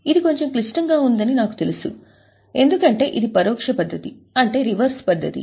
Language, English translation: Telugu, I know it's bit complicated because this is an indirect method